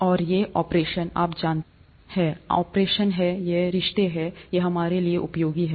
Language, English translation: Hindi, And these operations, you know, these are the operations, these are the relationships, they are useful to us